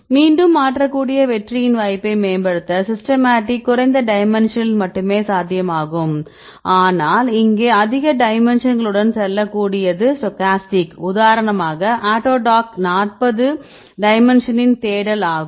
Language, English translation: Tamil, So, here this will repeat to improve the chance of success you can change again, and the systematic is feasible only at the lower dimension right, but here the stochastic you can go with the higher dimensions right mainly for example, autodock is about forty dimension search